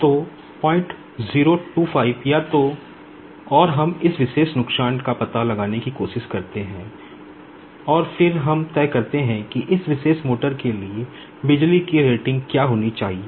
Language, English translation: Hindi, 025 or so, and we try to find out this particular loss, and then we decide what should be the power rating for this particular motor